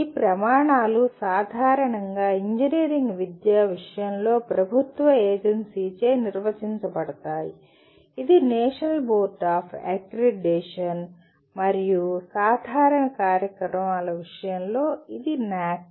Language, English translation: Telugu, These criteria are generally defined by an agency of the government in case of engineering education, it is National Board of Accreditation and in case of general programs it is NAAC